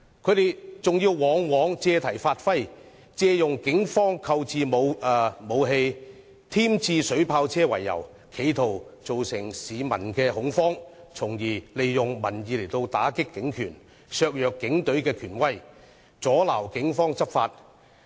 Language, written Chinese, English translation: Cantonese, 他們往往借題發揮，借警方購置武器、添置水炮車為由，企圖造成市民恐慌，從而利用民意打擊警權，削弱警隊權威，阻撓警方執法。, They often make fusses with pretexts . They tried to create panic among the public with issues such as the purchase of weapons and water cannon vehicles by the Police thereby buffeting and weakening the power and the authority of the Police Force to obstruct their law enforcement efforts